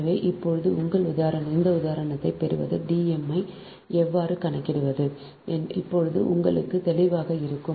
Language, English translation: Tamil, so now, now, getting this example, how to compute d m now will be clear to your right